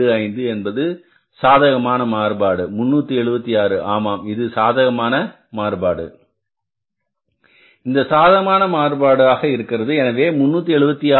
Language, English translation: Tamil, 25, this was the favorable variance, 376, yeah, this is the favorable variance